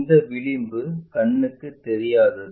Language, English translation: Tamil, This one this edge is invisible